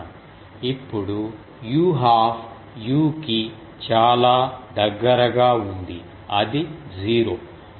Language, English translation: Telugu, Now u half is very near to u is equal to 0